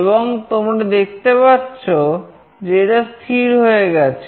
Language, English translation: Bengali, And you can see that it is now stable